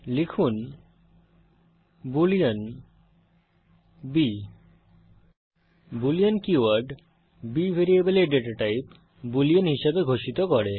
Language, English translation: Bengali, Type boolean b The keyword boolean declares the data type of the variable b as boolean